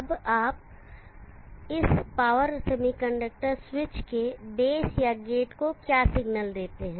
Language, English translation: Hindi, Now what signal do you give to base or gate of this power semiconductor switch